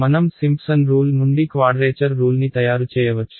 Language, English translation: Telugu, We could as well have made a quadrature rule out of Simpson’s rule